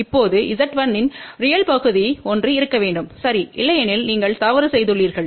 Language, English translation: Tamil, Now, the real part of Z 1 has to be one ok otherwise you have made a mistake